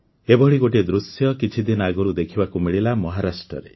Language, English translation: Odia, A similar scene was observed in Maharashtra just a few days ago